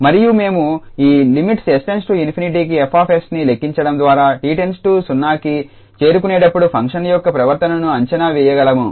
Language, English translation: Telugu, So, we need to compute the limit for example this s F s and we can get that is exactly the behavior of the function as t approaches to 0